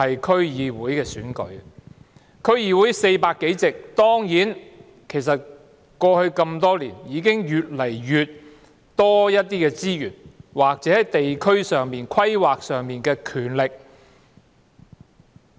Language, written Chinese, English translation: Cantonese, 區議會有400多個議席，經過多年努力，已經得到越來越多資源或在地區規劃上的權力。, DCs have over 400 seats . After many years of efforts they have already obtained more and more resources or power in district planning